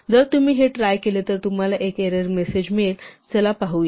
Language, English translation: Marathi, In fact, if you try this, you will actually get an error message, let us see